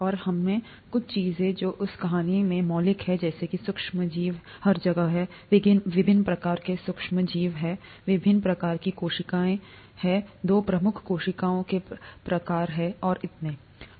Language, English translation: Hindi, And we picked up a few things that are fundamental from that story, such as microorganisms are there everywhere, the various types of microorganisms, the various types of cells, the two major types of cells and so on